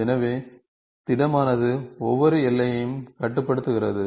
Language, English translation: Tamil, So, this solid is bounds each boundary